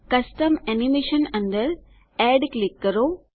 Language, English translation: Gujarati, Under Custom Animation, click Add